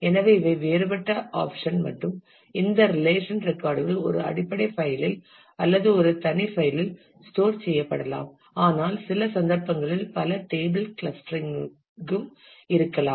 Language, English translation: Tamil, So, these are the different option and a records of which relation may be stored in a separate file that is a basic convention, but in some cases there could be multi table clustering as well